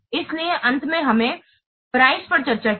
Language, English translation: Hindi, So, finally, we have discussed the price